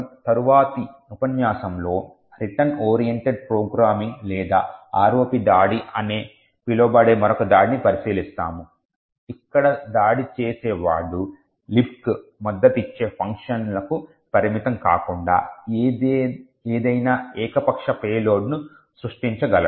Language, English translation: Telugu, In the next lecture we will look at another attack known as the Return Oriented Programming or the ROP attack where the attacker is not restricted to the functions that LibC supports but rather can create any arbitrary payloads, thank you